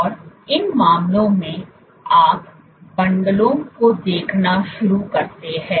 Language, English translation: Hindi, And in these cases, you begin to see bundles